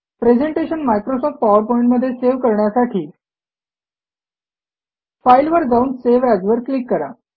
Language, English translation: Marathi, To save a presentation as Microsoft PowerPoint, Click on File and Save as